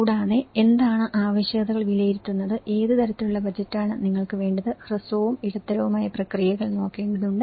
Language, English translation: Malayalam, And also, what are the needs assessment, what kind of budget you need right and one has to look at the short and medium term process